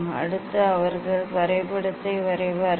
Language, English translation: Tamil, Next, they will for drawing graph